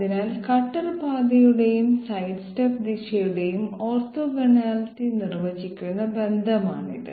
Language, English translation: Malayalam, So this is the relation that defines the orthogonality of cutter path and sidesteps direction okay